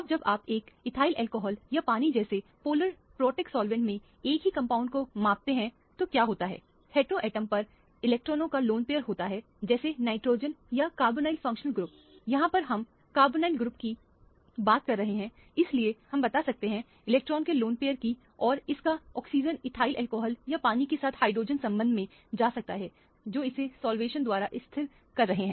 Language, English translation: Hindi, Now when you measure the same compound in a polar protic solvent like a ethyl alcohol or water what happens is the lone pair of electrons on the heteroatom, let us say on nitrogen or carbonyl functional group we are talking about carbonyl compounds, so we are talking about the lone pair of electron and the oxygen of this it can undergo hydrogen bonding interaction with ethyl alcohol or water they are by stabilizing it by solvation